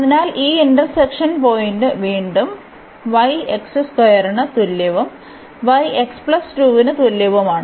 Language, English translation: Malayalam, So, this point of intersection again; so, y is equal to x square and y is equal to x plus 2